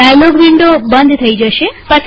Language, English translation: Gujarati, The dialog window gets closed